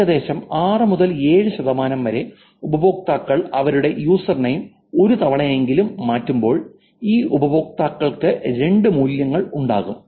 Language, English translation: Malayalam, User mean about 6 or 6% of the users changed their username at least once, which is there were two values for these users